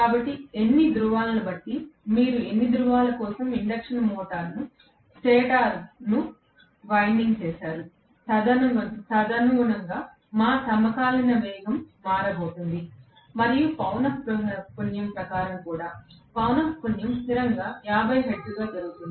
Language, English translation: Telugu, So, depending upon how many poles, for how many poles you have wound the induction motor stator, correspondingly our synchronous speed is going to change and according to the frequency as well but, the frequency invariably happens to be 50 hertz